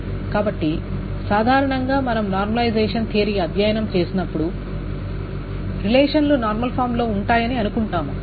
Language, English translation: Telugu, So generally when we study normalization theory we will just assume that relations to be in normal form